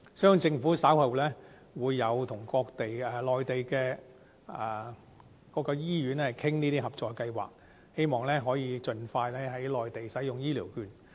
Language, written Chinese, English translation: Cantonese, 相信政府稍後會與內地的各間醫院商討合作計劃，希望可以盡快在內地使用醫療券。, I trust the Government will discuss the cooperation plan on the use of HCVs with Mainland hospitals in due course . Hopefully elderly persons can use their HCVs on the Mainland in the near future